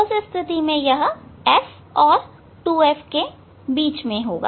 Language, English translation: Hindi, In that case it will be between F and 2F